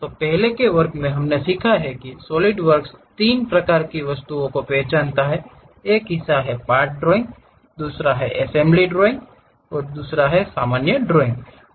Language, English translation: Hindi, So, in the earlier class, we have learned about Solidworks identifies 3 kind of objects one is part drawing, other one is assembly drawing, other one is drawings